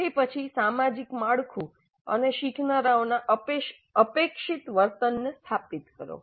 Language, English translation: Gujarati, Then establish the social structure and the expected behavior of the learners